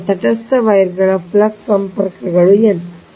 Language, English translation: Kannada, so now flux linkages of neutral wires: n